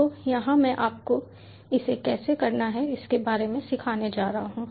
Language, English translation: Hindi, so here i am going to teach you about how to do it and ah